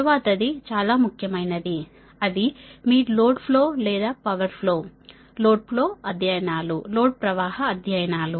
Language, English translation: Telugu, next one is that most important one is that your power flow or load flow studies right